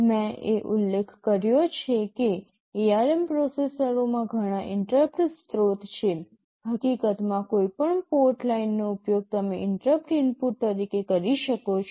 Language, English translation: Gujarati, I mentioned that in ARM processors there are many interrupting source; in fact, any of the port lines you can use as an interrupt input